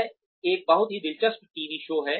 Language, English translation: Hindi, It is a very interesting TV show